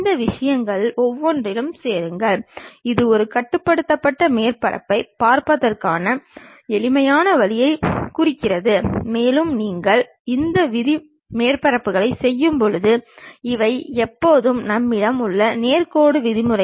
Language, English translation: Tamil, Then join each of these thing, that represents a simplistic way of looking at a rule surface and when you are doing this rule surfaces these are always be straight lines the rule what we have